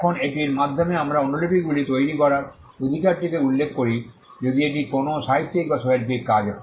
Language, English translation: Bengali, Now by this we referred the right to make copies if it is a literary or an artistic work